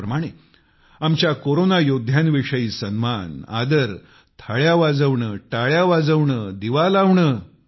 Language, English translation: Marathi, Similarly, expressing honour, respect for our Corona Warriors, ringing Thaalis, applauding, lighting a lamp